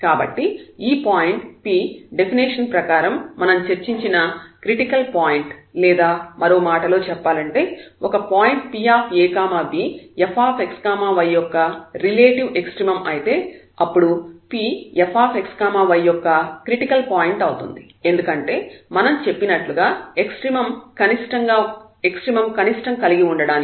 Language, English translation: Telugu, So, this point P is a critical point as per the definition we have discussed or in other words if a point P x y is a relative extremum of the function f x y then this is a critical point of f x y because yes as we said that this is the necessary condition to have the extremum minimum